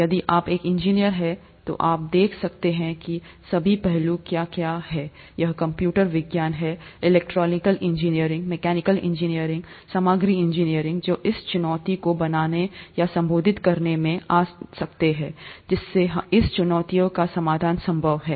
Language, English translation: Hindi, If you’re an engineer, you could look at what all aspects, is it computer science, electrical engineering, mechanical engineering, materials engineering and so on and so forth that go into making this challenge, or making or addressing, making it possible to address this challenge